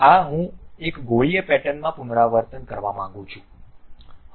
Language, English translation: Gujarati, This one I would like to repeat it in a circular pattern